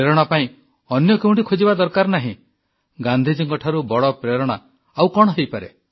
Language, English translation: Odia, And for inspiration, there's no need to look hither tither; what can be a greater inspiration than Gandhi